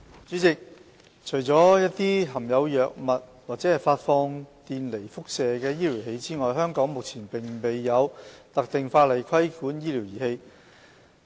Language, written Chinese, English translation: Cantonese, 主席，除了一些含有藥品或發放電離輻射的醫療儀器外，香港目前並無特定法例規管醫療儀器。, President currently there is no specific legislation to regulate medical devices in Hong Kong except for those devices which contain pharmaceutical products or emit ionizing radiation